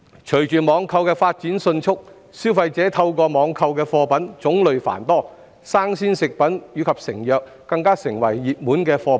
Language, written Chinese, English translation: Cantonese, 隨着網購的發展迅速，消費者透過網購的貨品種類繁多，新鮮食品及成藥更成為熱門貨品。, With the rapid development of online shopping consumers can purchase a wide range of products online and fresh food and medicine have become popular products